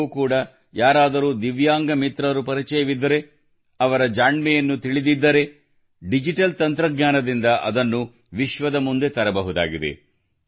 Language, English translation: Kannada, If you also know a Divyang friend, know their talent, then with the help of digital technology, you can bring them to the fore in front of the world